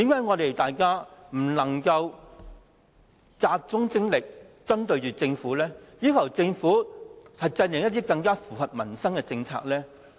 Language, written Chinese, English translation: Cantonese, 為何大家不能集中精力針對政府，要求政府制訂一些更符合民生的政策呢？, Why do we not focus our efforts in dealing with the Government in asking the Government to formulate some policies more beneficial to peoples livelihood?